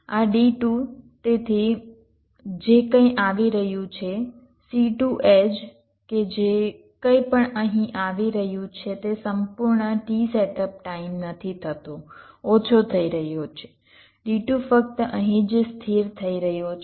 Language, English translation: Gujarati, this d two, so whatever is coming c two edge, that the whatever is coming here, it is not getting total t setup time, it is getting less